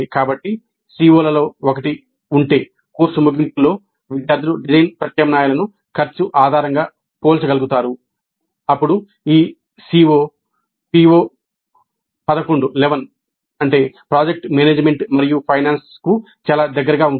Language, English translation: Telugu, So if one of the COs is at the end of the course students will be able to compare design alternatives based on cost, then this COE is quite close to PO 11, project management and finance